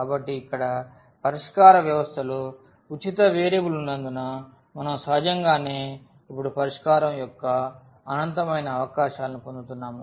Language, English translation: Telugu, So, this having a free variable in the solution in the system here we are naturally getting infinitely many possibilities of the solution now